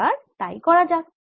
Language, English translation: Bengali, let us do that